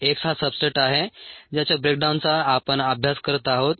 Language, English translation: Marathi, x is the substrate here, the breakdown of which we are studying